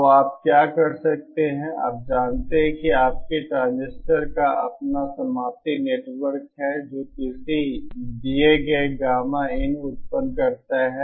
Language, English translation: Hindi, So what you can do is you know suppose we assume that your transistor has its own termination network which produces a given Gamma in